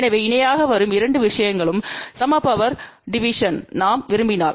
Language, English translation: Tamil, So, if the 2 things which are coming in parallel and we want equal power division